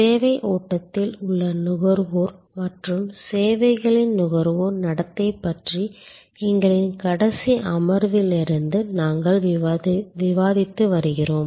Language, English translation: Tamil, We are discussing since our last session about consumers in a services flow and the services consumer behavior